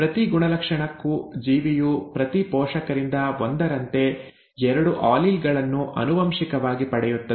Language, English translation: Kannada, For each character, the organism inherits two alleles, one from each parent